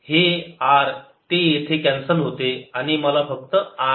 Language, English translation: Marathi, this r cancels here gives me r alone